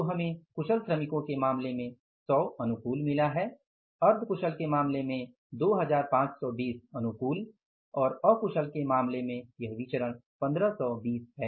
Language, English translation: Hindi, So, we have got 100 favorable in case of the skilled workers, in case of the semi skilled 2520 favorable and in case of the unskilled this variance is 1520